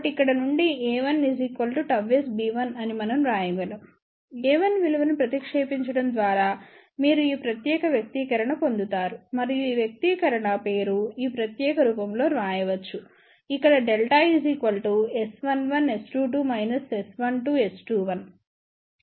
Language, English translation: Telugu, So, from here we can write a 1 is gamma S times b 1, substitute this value of a 1 and simplify you will get this particular expression and this expression can be written in this particular form where delta is nothing but S 1 1 S 2 2 minus S 1 2 S 2 1